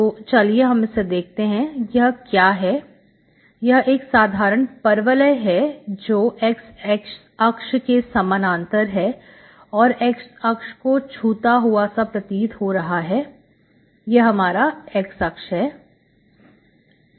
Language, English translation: Hindi, So you simply take, for this, what are these, these are simple parabolas parallel to x axis, just touching x axis, okay, this is your x axis, like this